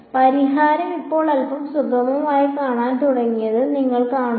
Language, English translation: Malayalam, You see that the solution is beginning to look a little bit smoother now right